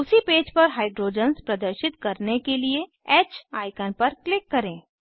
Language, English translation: Hindi, On the same page, click on H icon to show hydrogens